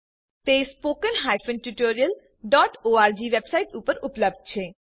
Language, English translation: Gujarati, These are available at spoken tutorial.org website